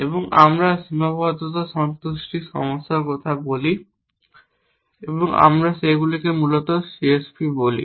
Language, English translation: Bengali, And we talk of constraint satisfaction problems and we call them CSP essentially